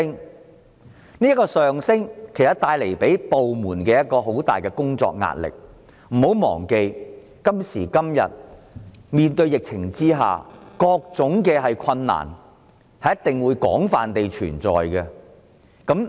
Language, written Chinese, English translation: Cantonese, 但是，這個上升會為部門帶來很大工作壓力，不要忘記，在今時今日的疫情下，各種困難都會存在。, This will then bring heavy workload to SWD . Do not forget that all sorts of difficulties may appear under the present epidemic